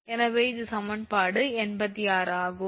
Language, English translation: Tamil, So, this is equation 86 right